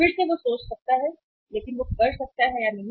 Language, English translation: Hindi, Again he can think about but he may or he may not